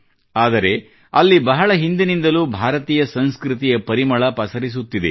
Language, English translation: Kannada, However, the fragrance of Indian culture has been there for a long time